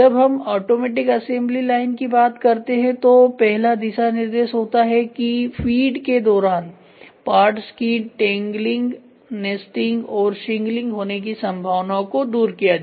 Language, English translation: Hindi, When we talk about automatic assembly line the first guidelines is avoid the possibility of parts tangling nesting and shingling during the feed